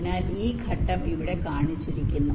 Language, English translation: Malayalam, so this step is shown here